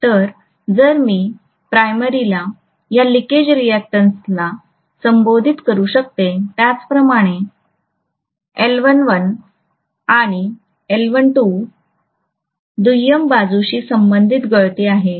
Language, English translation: Marathi, So if I may call this leakage reactance for the primary as LL1 leakage similarly LL2 is the leakage corresponding to the secondary side